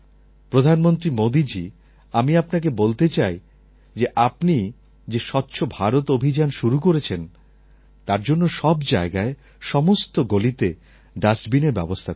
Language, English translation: Bengali, "Prime Minister, Modi ji, I want to tell you that, for the Swachhta Abhiyan Cleaniness Drive that you started, you should get dustbins installed in every street and every corner"